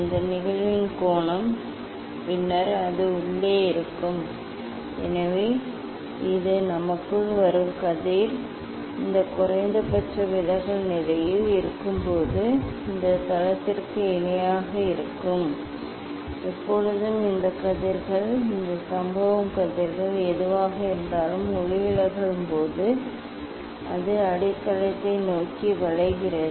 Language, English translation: Tamil, this is the angle of incidence then it should be inside so this is the ray us coming inside it will be parallel to this base when it is at minimum deviation position and here; always these rays whatever these incident rays when refracted always it bends towards the base